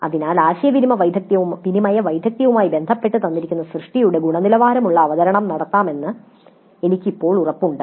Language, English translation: Malayalam, So now I am now confident of making quality presentation of given work related to again communication skills